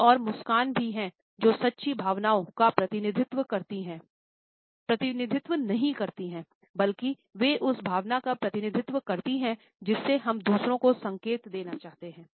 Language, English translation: Hindi, And there are some other smiles which do not represent true feelings, rather they represent the emotion which we want to signal to others